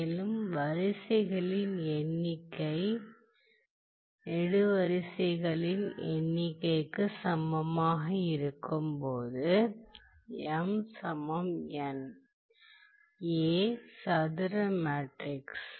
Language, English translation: Tamil, And, when the number of rows is equal to number of columns that is m equal to n, then the matrix A becomes a square matrix ok